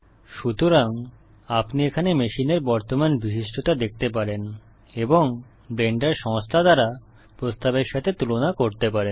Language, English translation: Bengali, So here you can see the current specifications of your machine and compare it against what the Blender Foundation suggests